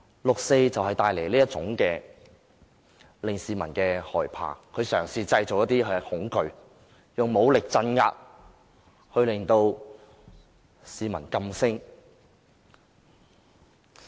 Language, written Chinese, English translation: Cantonese, 六四帶來這種令市民害怕的感覺，政府嘗試製造恐懼，以武力鎮壓，令市民噤聲。, The 4 June incident has brought such fear to people . The Government attempted to create fear and silence people with its violent crackdowns